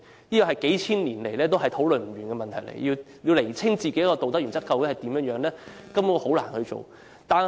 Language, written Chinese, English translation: Cantonese, 這是個數千年來討論不休的問題，要釐清自己的道德原則究竟如何，根本難以做到。, For thousands of years there have been endless discussions on this question and it is almost impossible for anyone to figure out his own moral principle